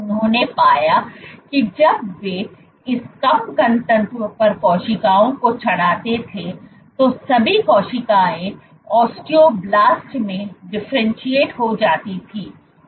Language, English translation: Hindi, What they found was when they plated cells at this low density, all the cells hMSCs differentiated into osteoblasts